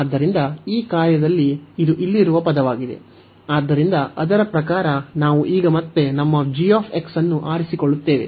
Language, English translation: Kannada, So, this is the term here in this function, so accordingly we will choose now again our g x